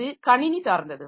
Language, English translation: Tamil, It is system dependent